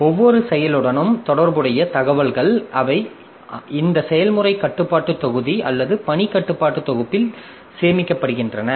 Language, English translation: Tamil, So, information associated with each process, so they are stored in this process control block or task control block